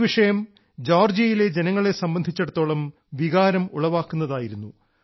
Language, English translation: Malayalam, This is an extremely emotional topic for the people of Georgia